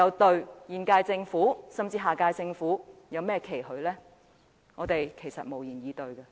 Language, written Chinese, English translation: Cantonese, 對現屆政府，甚至下屆政府，我們還能有甚麼期許？, What expectations can we still have on the current - term Government or even the next - term Government?